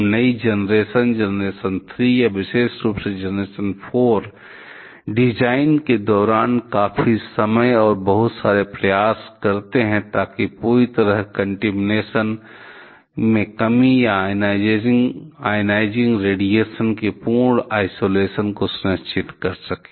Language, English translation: Hindi, And the newer generation; generation 3 and particularly generation 4 spend lots of time, lots of effort during the design to ensure complete contamination reduction or complete isolation of the ionization radiation